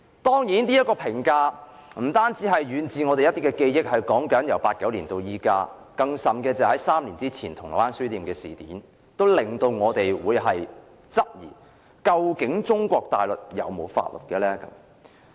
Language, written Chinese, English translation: Cantonese, 當然，這評價不單基於我們久遠的記憶，由1989年至今，而3年前發生的銅鑼灣書店事件也令大家質疑中國大陸有否法律。, Certainly this comment is based not only on our memory of the remote past since 1989 . The incident involving the Causeway Bay Books three years ago has likewise aroused public queries about whether Mainland China has any laws in force